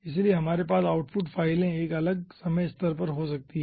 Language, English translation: Hindi, so we can have the output files, a different time level